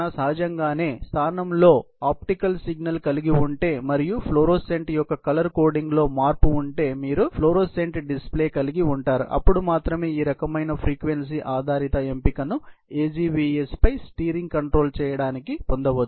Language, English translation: Telugu, Obviously, if you have an optical signal in place, and you have a florescent read out if there is a change in the color coding of the florescent, only then this kind of frequency based selection can be obtained for doing steering control on the AGVS